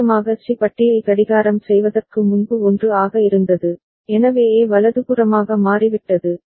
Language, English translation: Tamil, And before clocking of course C bar was 1, so A has toggled right